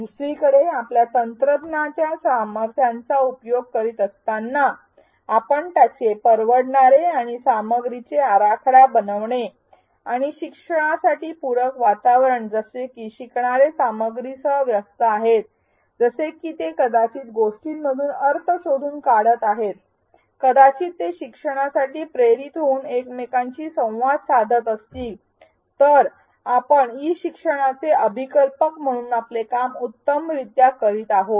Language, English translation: Marathi, If on the other hand we are exploiting the power of technology, we are using its affordances and designing content and the learning environment such that learners are engaged with the content, such that they are figuring things out making meaning perhaps interacting with each other they are motivated to learn, then we are doing our job as designers of e learning